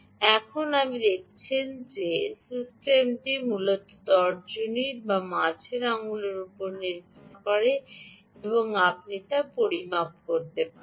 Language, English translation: Bengali, now you can see that the system essentially is strap to either the index finger or the middle finger and ah, you can make a measurement